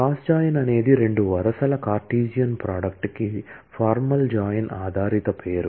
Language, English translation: Telugu, Cross join is just a formal join based name for Cartesian product of two rows